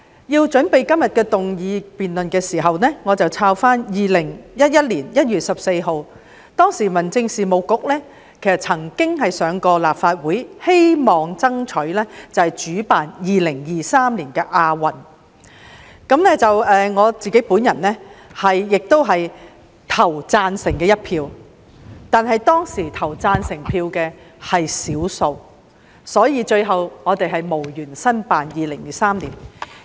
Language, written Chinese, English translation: Cantonese, 在準備今天的議案辯論時，我翻查了2011年1月14日的文件，當時的民政事務局曾經在立法會爭取主辦2023年的亞洲運動會，而我亦投了贊成票，但當時投贊成票的是少數，所以最後我們無緣申辦2023年的亞運會。, In preparing for todays motion debate I have reviewed a paper for discussion on 14 January 2011 in which the incumbent Home Affairs Bureau sought approval from the Legislative Council for hosting the 2023 Asian Games . I voted in favour of the proposal but those who voted for the proposal were in the minority and thus we missed out on the bid to host the 2023 Asian Games in the end